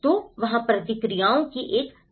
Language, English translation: Hindi, So, there is a wide variety of responses